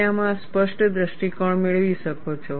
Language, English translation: Gujarati, You can have a clear view in this